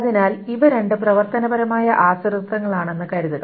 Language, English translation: Malayalam, So suppose these are the two functional dependencies